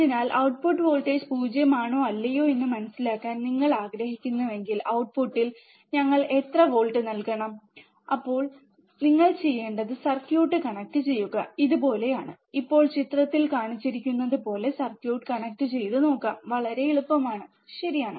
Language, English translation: Malayalam, So, if you want to understand whether output voltage is 0 or not, and how much voltage we have to give at the output, then you have to do you have to connect the circuit, like this, now let us see the connect the circuit as shown in figure it is very easy, right